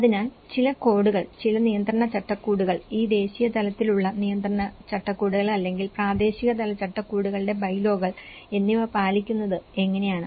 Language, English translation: Malayalam, So, whether it is by following certain codes, certain regulatory frameworks and how they are abide with this national level regulatory frameworks or a local level frameworks bylaws